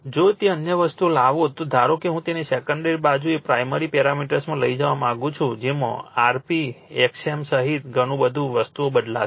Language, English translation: Gujarati, If you bring that other things suppose I want to take it to the secondary side the primary parameters that many things will change including your rp xm everything